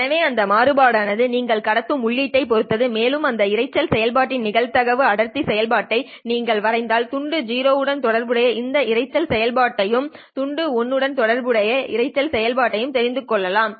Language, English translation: Tamil, So the variance itself depends on the input that you have transmitted and if you sketch the probability density function of this noise process, so let us say there are this, you know, the noise process corresponding to bit 0 and the noise process corresponding to bit 1